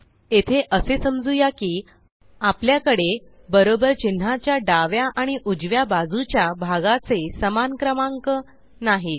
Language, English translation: Marathi, Here let us suppose that we dont have equal number of parts on the left and the right of the equal to character